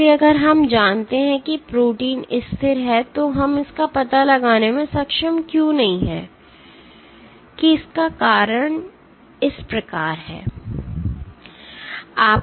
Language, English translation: Hindi, So, if we know that the protein is stable why are we not able to detect it the reason is as follows